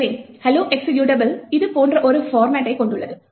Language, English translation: Tamil, So, the hello executable has a format like this